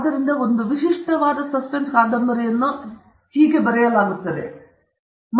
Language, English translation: Kannada, So, that’s how a typical suspense novel is written